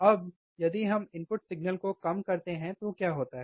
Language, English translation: Hindi, Now, if what happens if we decrease the input signal